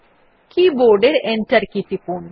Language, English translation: Bengali, Press the Enter key on the keyboard